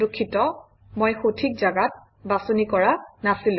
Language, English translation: Assamese, Sorry, I did not choose the correct position